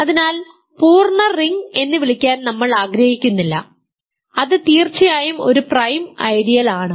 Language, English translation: Malayalam, So, we do not want to call the full ring which is also an ideal of course a prime ideal